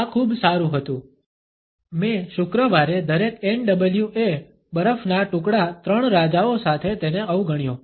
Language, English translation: Gujarati, This was so, cool I probably ignored him with every NWA ice cube three kings Friday